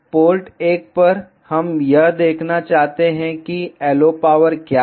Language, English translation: Hindi, At port 1, we want to see what is the LO power